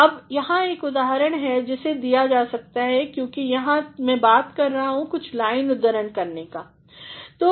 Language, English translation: Hindi, Now, here is one example that can be provided and since here I am talking about quoting some lines of the poem fine